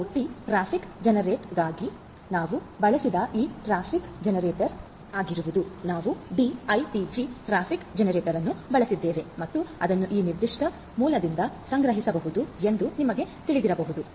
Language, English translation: Kannada, And for IoT traffic generator this is this traffic generator that we have used; we have used the D ITG traffic generator and it can be you know it can be procured from this particular source